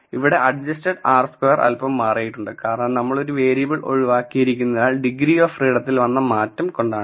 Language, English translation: Malayalam, The adjusted r square has changed a bit and that is only because we have removed one variable and the degrees of freedom change